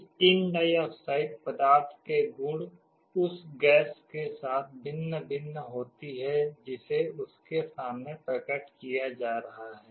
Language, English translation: Hindi, The property of this tin dioxide material varies with the kind of gas that it is being exposed to